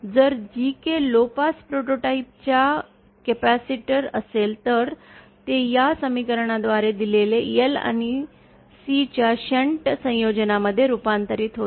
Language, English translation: Marathi, If gk is a capacitor of low pass prototype then it will be converted into a shunt combination of L and C given by this equation